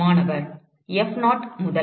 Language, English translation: Tamil, Student: F 0 to